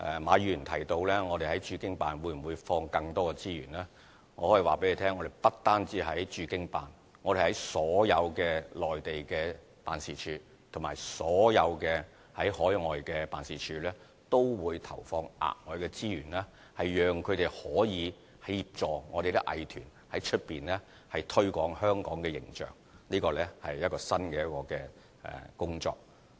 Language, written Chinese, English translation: Cantonese, 馬議員提到我們在駐京辦會否投放更多資源，我可以告訴大家，我們不單在駐京辦，我們在所有內地的辦事處和所有海外的辦事處都會投放額外的資源，讓它們可以協助我們的藝團在香港以外的地方推廣香港的形象，這是一項新的工作。, Mr MA asks whether we will inject more resources in the Beijing Office . I can tell Members that we will inject additional resources not only in the Beijing Office but also in all the Mainland offices and overseas offices so that they can assist our art groups with the promotion of Hong Kongs image outside Hong Kong . This is a new duty